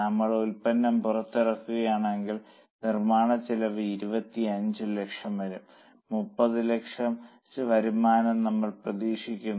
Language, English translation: Malayalam, If we launch the product, the cost of manufacture will be 25 lakhs and we are expecting a revenue of 30 lakhs